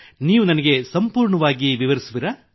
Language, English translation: Kannada, Can you explain to me with complete description